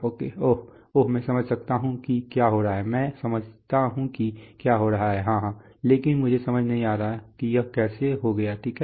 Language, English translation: Hindi, Oh, oh I understand what is happening, I understand what is happening yeah, yeah but I do not understand why how it came to be, okay